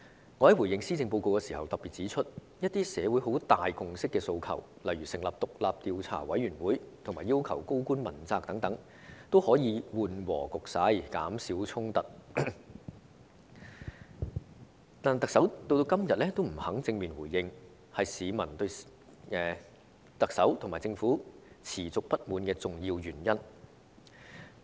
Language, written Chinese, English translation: Cantonese, 我在回應施政報告時曾特別指出，一些社會有很大共識的訴求，例如成立獨立調查委員會和要求高官問責等，均可緩和局勢、減少衝突，但特首至今仍不肯正面回應，這是市民對特首和政府持續不滿的重要原因。, When I responded to the Policy Address I pointed out in particular that some demands underpinned by an enormous consensus in society such as the forming of an independent commission of inquiry and holding senior government officials accountable can calm the situation and reduce conflicts if met . But the Chief Executive has hitherto refused to respond to them directly even now and this is one important reason for the peoples constant grievances against the Chief Executive and the Government